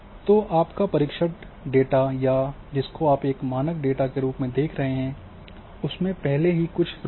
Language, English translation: Hindi, So, your test data or which you are considering as a standard data is also suffering from some errors